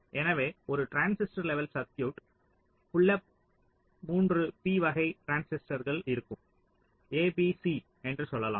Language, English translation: Tamil, so a transistor level circuit will consists of: the pull up there will be three beta transistors, lets say a, b, c